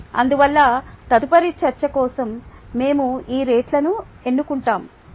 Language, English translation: Telugu, therefore, we will choose that rate for further discussion